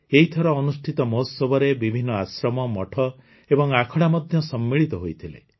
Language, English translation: Odia, Various ashrams, mutths and akhadas were also included in the festival this time